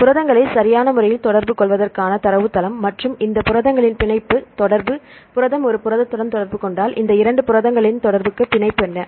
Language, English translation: Tamil, Database for interacting proteins right and for the binding affinity of these proteins, if the protein a interacts with protein b what is the binding affinity of these two proteins to interact